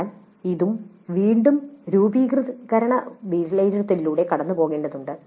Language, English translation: Malayalam, But note that this also must go through again a formative evaluation